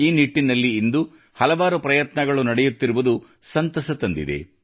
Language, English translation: Kannada, I am happy that, today, many efforts are being made in this direction